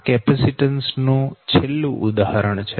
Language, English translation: Gujarati, so this is the last example for capacitance one